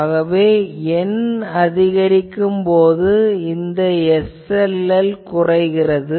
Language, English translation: Tamil, So, as N increases, this SLL decreases